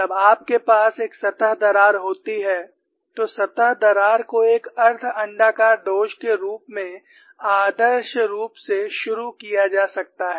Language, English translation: Hindi, When you have a surface crack, the surface crack can be idealized as a semi elliptical flaw to start with